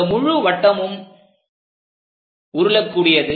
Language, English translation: Tamil, And this entire circle rolls